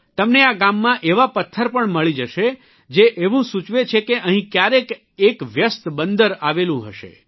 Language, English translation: Gujarati, You will find such stones too in thisvillage which tell us that there must have been a busy harbour here in the past